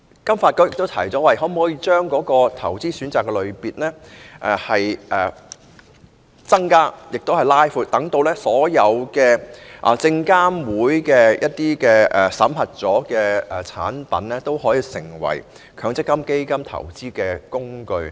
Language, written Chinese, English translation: Cantonese, 金發局亦提出，增加及擴闊投資選擇的類別，讓所有獲證券及期貨事務監察委員會審核的產品成為強積金的基金投資工具。, FSDC has also proposed to increase and expand the categories of investment options to include all products authorized by the Securities and Futures Commission as fund investment vehicles of MPF